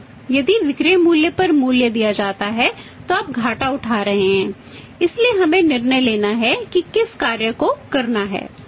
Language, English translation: Hindi, If valuing at the selling price your ending of making the losses so making decision of the function to take